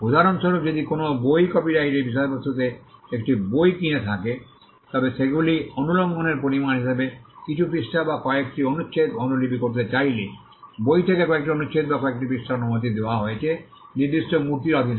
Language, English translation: Bengali, For instance, if a person who has purchased a book which is the subject matter of a copyright wants to copy a few pages or a few paragraphs from though copying would amount to an infringement, a few paragraphs or a few pages from a book is allowed under certain statues